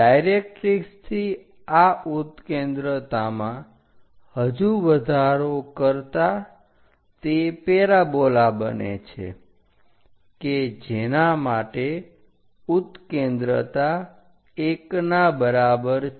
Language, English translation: Gujarati, Further increase in this eccentricity from the directrix, it becomes a parabola for which eccentricity is equal to 1